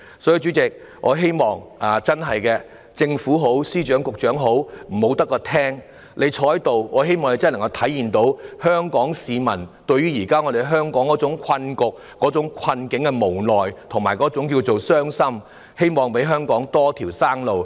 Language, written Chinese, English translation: Cantonese, 所以，主席，不論是政府、司長或局長，我希望他們不會只坐在席上聆聽，而是真的能夠明白香港市民對於香港現時的困局感到無奈和傷心，希望他們能給予香港一條生路。, Therefore President be it the Government the Financial Secretary or the Secretary I hope they will not merely sit here and listen . Rather I hope they can truly understand that the people of Hong Kong feel helpless and sad about the present predicament in Hong Kong . I hope they can provide Hong Kong with a way out